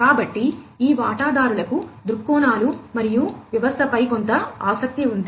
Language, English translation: Telugu, So, these stakeholders have some interest in the viewpoints and the system